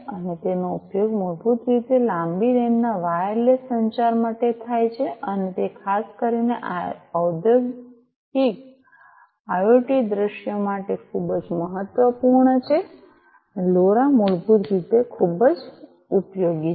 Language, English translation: Gujarati, And it is used basically for long range wireless communication and that is very important particularly for Industrial IoT scenarios, LoRa basically is very useful